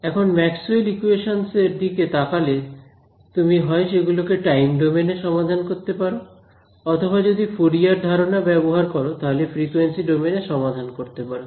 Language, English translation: Bengali, So, now, there are looking at the equations of Maxwell, you could solve them in let us say either the time domain or if you use Fourier ideas, you could solve them in the frequency domain ok